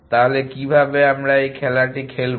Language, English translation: Bengali, So, how would you play this game